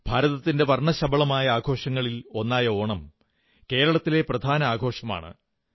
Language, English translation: Malayalam, Of the numerous colourful festivals of India, Onam is a prime festival of Kerela